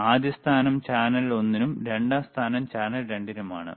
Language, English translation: Malayalam, First position is for the channel one, second position is for channel 2